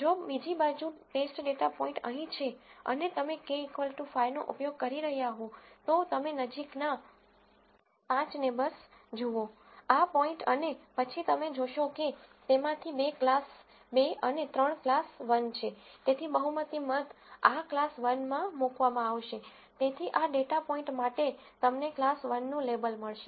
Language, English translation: Gujarati, If on the other hand the test data point is here and you were using K equal to 5 then, you look at the 5 closest neighbor to this point and then you see that two of them are class 2 and three are class 1, so majority voting, this will be put into class 1